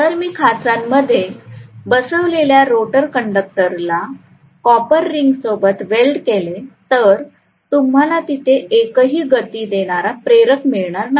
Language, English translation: Marathi, If I have the rotor conductors which are residing inside the slot the copper rings will be welded, so you do not have any moving contact any where